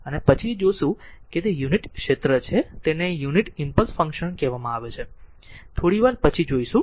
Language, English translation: Gujarati, And this 1 we will see later it is unit area it is called the strength of the your unit impulse function we will see just after few minutes